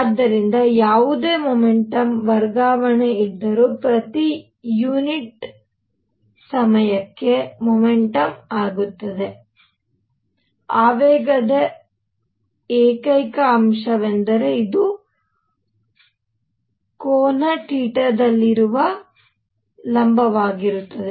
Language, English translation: Kannada, So, momentum per unit time whatever momentum transfer is there; the only component of momentum that matters is this perpendicular to this which is at an angle theta